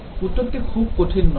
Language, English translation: Bengali, The answer is not very difficult